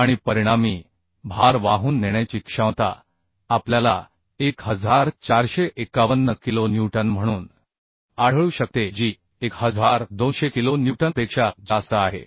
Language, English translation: Marathi, 2 and the load carrying capacity as a result we can find as 1451 kilo Newton which is greater than 1200 kilo Newton